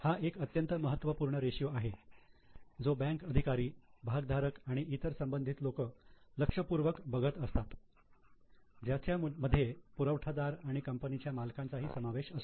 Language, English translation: Marathi, This is a very important ratio which is seen by bankers and many other stakeholders including suppliers and also the owners of the company